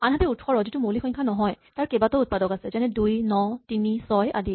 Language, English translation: Assamese, Whereas, 18 which is not a prime have many more factors, it is also 2 times 9 and 3 times 6